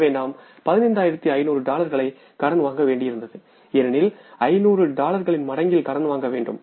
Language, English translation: Tamil, So we had to borrow $15,500 because it has to be borrowed in the multiple of $500